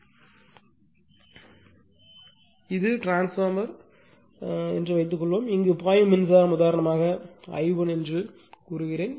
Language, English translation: Tamil, Suppose this is my, this is my transformer, right and current actually flowing here is say I 1 for example,